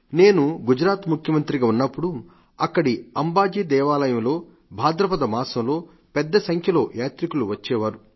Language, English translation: Telugu, I remember, when I was the Chief Minister of Gujarat the temple of Ambaji there is visited in the month of Bhadrapad by lakhs of devotees travelling by foot